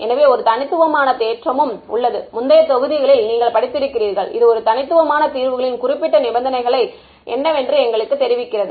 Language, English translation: Tamil, So, there is also a uniqueness theorem which you have studied in the earlier modules, which tells us there is a given certain conditions that the unique solution